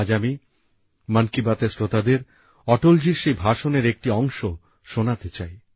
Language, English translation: Bengali, Today I want to play an excerpt of Atal ji's address for the listeners of 'Mann Ki Baat'